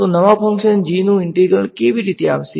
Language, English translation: Gujarati, So, how will the integral of the new function g come